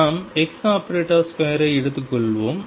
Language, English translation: Tamil, Let us take x square average